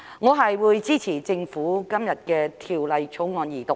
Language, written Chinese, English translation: Cantonese, 我會支持政府今天提出的《條例草案》二讀。, I will support the Second Reading of the Bill proposed by the Government today